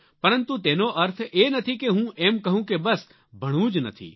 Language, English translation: Gujarati, But that does not mean that I'm implying that you don't have to study at all